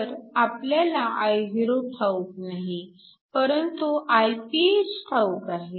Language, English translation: Marathi, So, Io we do not know, but Iph we know